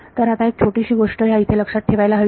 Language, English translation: Marathi, So, there is just some small thing to keep in mind